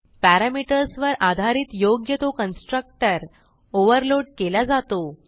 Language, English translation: Marathi, Based upon the parameters specified the proper constructor is overloaded